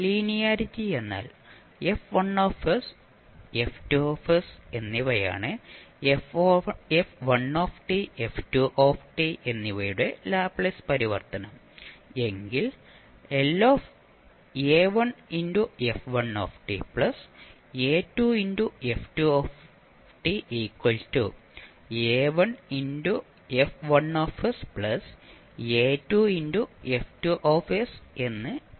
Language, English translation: Malayalam, So linearity means f1s and f2s are the Laplace transform of f1t and f2t